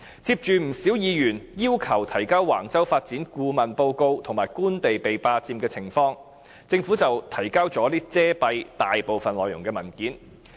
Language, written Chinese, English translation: Cantonese, 接着，不少議員要求提交橫洲發展的顧問報告及官地被霸佔的情況，政府便提交了遮蔽大部分內容的文件。, And then when Members demanded the consultancy report on the Wang Chau development plan as well as information on the situation of Government land being occupied the Government handed over a document with most of the contents redacted